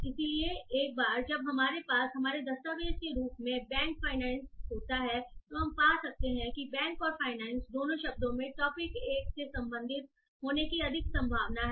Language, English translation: Hindi, So once we have bank finance bank as our document we can find that both the words bank and finance have a higher probability of belonging to topic one